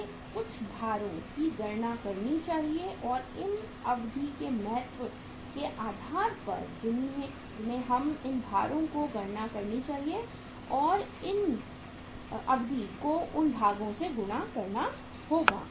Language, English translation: Hindi, We have to calculate some weights or to these durations on the basis of the importance of these durations we should calculate some weights and multiply these durations with the weights